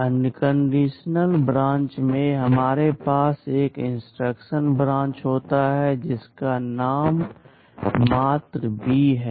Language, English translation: Hindi, In unconditional branch, we have an instruction called branch whose mnemonic is just B